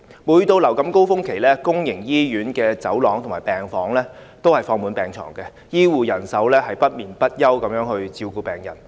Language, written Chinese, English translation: Cantonese, 每當流感高峰期來臨，公營醫院的走廊和病房均放滿病床，醫護人員不眠不休地照顧病人。, At every influenza peak season public hospital wards and corridors are filled up with hospitals beds . The healthcare personnel works tirelessly taking care of patients